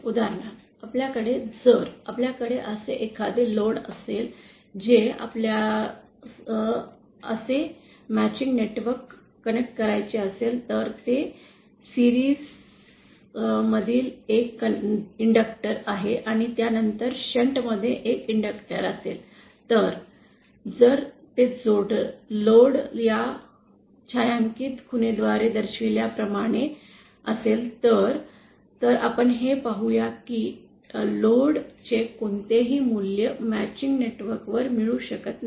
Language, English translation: Marathi, For example, if we have, if we have a load when we would like to connect a matching network like this that is an inductor in series and an inductor in shunt after that, then is that load is in this region shown by this shading mark, then we see that no value of this load can be obtained on matching network